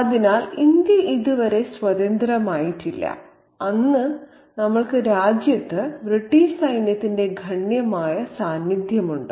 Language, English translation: Malayalam, So, India is not yet free and we have a considerable presence of British soldiers, British army presence in the country then